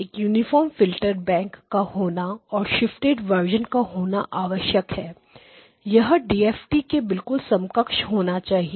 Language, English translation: Hindi, It has to be a uniform filter bank it has to be a shifted versions; it would have to be a very similar to what the basic DFT itself is doing